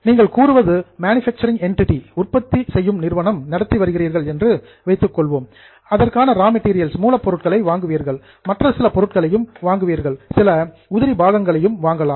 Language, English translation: Tamil, Suppose you are a manufacturing entity, you would purchase raw material, you may also purchase some components, some spare parts